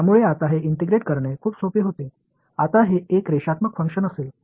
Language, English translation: Marathi, So, it was very simple to integrate now it will be a linear function right